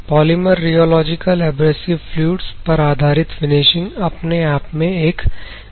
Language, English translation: Hindi, Polymer rheological abrasive fluids and it is based finishing processes itself is a very vast course